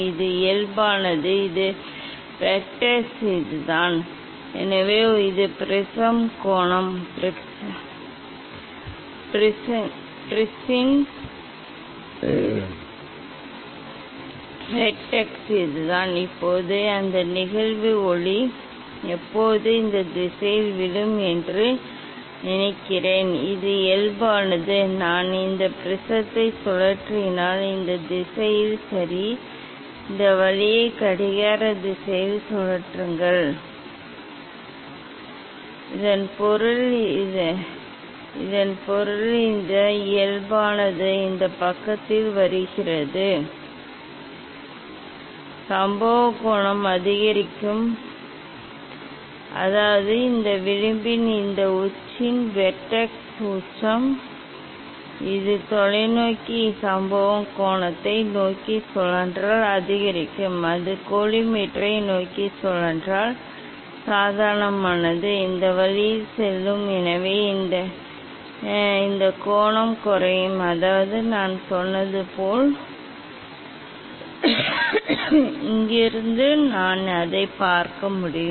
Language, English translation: Tamil, this is the normal, This vertex is this one, so this is the prism angle, vertex of the prism is this one, now think that incident light it will fall always in this direction, This is the normal, if I rotate this prism in this direction, ok, rotate this way clockwise, ok, in this of clockwise so that means, this normal is coming this side, incident angle will increase, that means, this vertex of this edge, vertex apex, if it rotate towards the telescope incident angle will increase, if it rotate towards the collimator that means, normal will go this way, so this angle will decrease, that means, as I told that when angle incident angle will increase, you will get less divergence, when it will angle will decrease it will be more divergence, from here I can see that